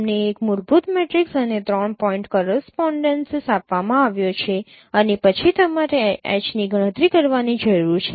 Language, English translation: Gujarati, You have been given a fundamental matrix and three point correspondences and then you need to compute H